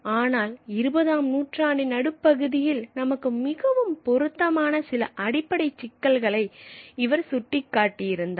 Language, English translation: Tamil, But he had pointed out certain fundamental issues which are very pertinent to us in the mid 20th century